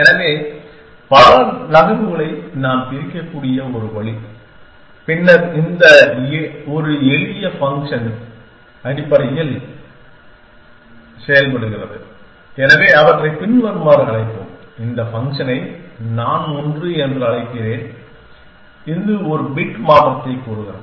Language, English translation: Tamil, So, one way we can divides several move then functions essentially for this one simple, so we will call them as follows I will call this function one, which says change one bit